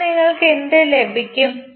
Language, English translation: Malayalam, So, what you will get